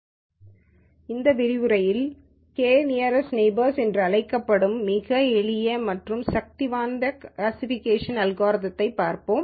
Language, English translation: Tamil, In this lecture, we will look at a very very simple yet powerful classification algorithm called the k nearest neighbors